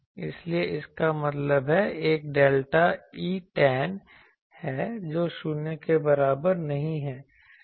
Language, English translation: Hindi, So; that means, there is a delta E tan which is not equal to 0